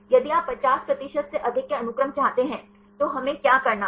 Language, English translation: Hindi, If you want to have the sequences with more than 50 percent then what we have to do